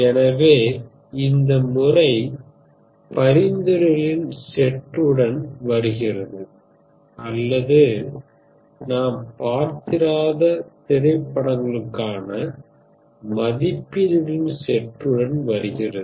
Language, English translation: Tamil, So it comes up with a set of recommendations or comes up in essence it comes with a set of ratings for you for the movies which you have never seen